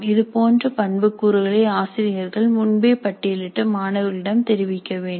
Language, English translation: Tamil, So these attributes have to be listed by the faculty upfront and communicated to the students